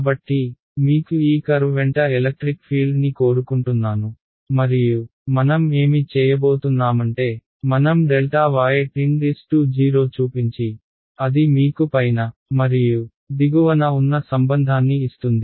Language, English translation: Telugu, So, I want the electric field along this curve and what I am going to do is I am going to make delta y tend to 0 that is what will give me the relation just above and just below ok